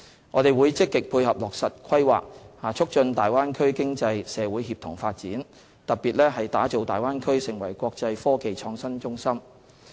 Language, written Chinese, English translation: Cantonese, 我們會積極配合落實《規劃》，促進大灣區經濟社會協同發展，特別是打造大灣區成為國際科技創新中心。, We will proactively support the implementation of the Plan to promote synergized development of the economic community in the Bay Area in particular the development of the Bay Area into an international innovation and technology hub